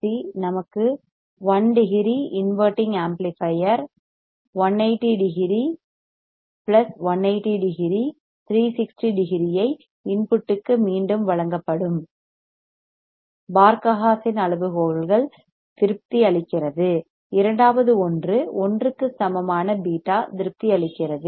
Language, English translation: Tamil, So, RC phase shift 3 RC will give us one degree inverting amplifier 180 degree 180 plus 180 360 degree that is provided back to the input Barkhausen criteria is satisfied second one is a beta equal to 1 is satisfied